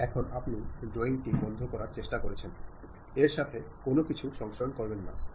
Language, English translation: Bengali, Now, you are trying to close the drawing, that means, do not save anything